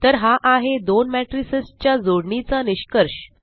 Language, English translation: Marathi, So there is the result of the addition of two matrices